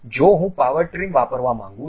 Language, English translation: Gujarati, If I want to really use Power Trim